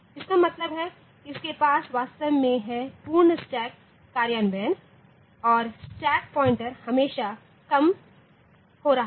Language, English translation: Hindi, That means, it is the actually having some sort of a full stack implementation and the stack pointer was always getting decremented